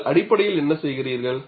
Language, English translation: Tamil, What you are essentially doing it